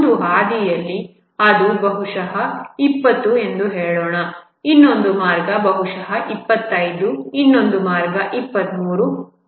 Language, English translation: Kannada, Along one path it may be let say, 20, another path may be 25, another path may be 23